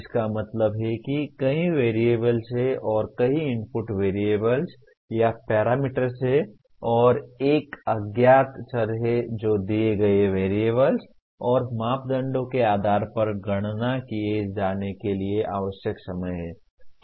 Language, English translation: Hindi, That means there are several variables and there are several input variables or parameters and there is one unknown variable that is the time taken needs to be computed based on the given variables and parameters